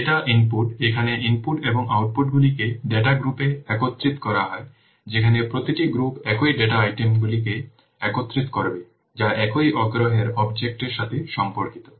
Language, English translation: Bengali, It inputs here the inputs and outputs are aggregated into data groups where each group will bring together data items that relate to the same object of interest